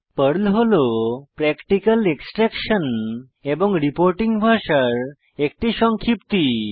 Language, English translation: Bengali, PERL is an acronym which stands for Practical Extraction and Reporting Language